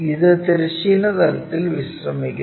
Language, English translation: Malayalam, And this is resting on horizontal plane